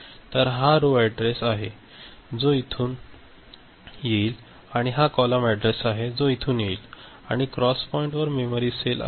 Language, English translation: Marathi, So, this is the row address that will come, and this is the column address that will come and at the cross point there is the memory cell